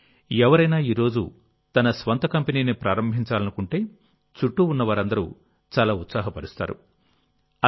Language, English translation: Telugu, But, if someone wants to start their own company today, then all the people around him are very excited and also fully supportive